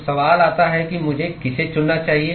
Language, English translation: Hindi, So, the question comes in which one should I choose